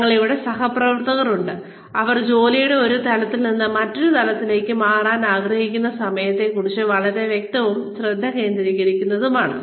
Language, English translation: Malayalam, We have colleagues here, who are very clear on, and very focused on, when they would like to move, from one level of the job, to another level